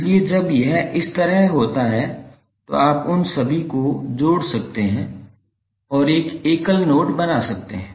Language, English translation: Hindi, So when it is like this you can join all of them and create one single node